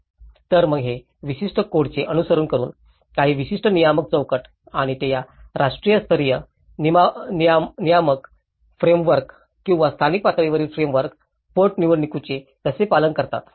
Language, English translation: Marathi, So, whether it is by following certain codes, certain regulatory frameworks and how they are abide with this national level regulatory frameworks or a local level frameworks bylaws